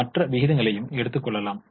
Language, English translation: Tamil, You can also have other ratios